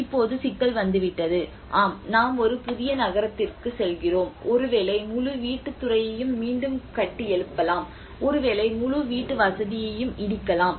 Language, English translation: Tamil, Now comes the problem yes we are moving to a new city maybe the whole housing sector can be rebuilt again maybe we can demolish the whole housing